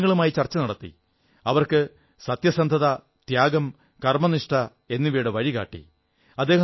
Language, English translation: Malayalam, He entered into a dialogue with people and showed them the path of truth, sacrifice & dedication